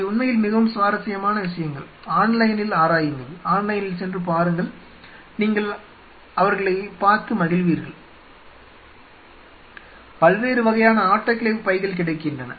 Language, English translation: Tamil, They are really very interesting stuff explore it online go online and check it out, you will you will really enjoy seeing them there are whole different range of autoclave bags which are available, will have this autoclave bag